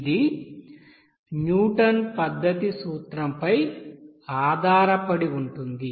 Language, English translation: Telugu, This is basically based on the principle of Newton's method